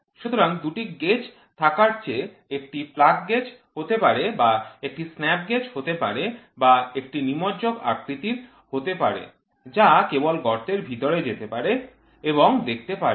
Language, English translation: Bengali, So, rather than having two gauges it can be plug gauge or it can be snap gauge or it can be plunging type which can just push inside the hole and see